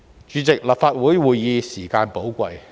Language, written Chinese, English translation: Cantonese, 主席，立法會會議時間寶貴。, President the time of Legislative Council meetings is precious